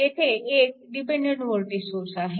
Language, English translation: Marathi, So, dependent voltage source is there